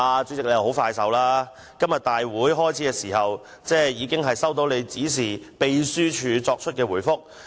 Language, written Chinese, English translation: Cantonese, 主席相當有效率，今天立法會會議開始時，議員已經收到經主席指示秘書處作出的回覆。, The President responded efficiently . When the Council meeting started today Members received a reply from the Secretariat as instructed by the President